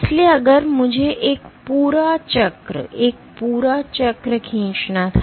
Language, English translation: Hindi, So, if I were to draw a complete cycle, a complete cycle